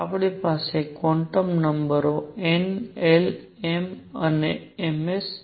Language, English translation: Gujarati, We have quantum numbers n, l, m and m s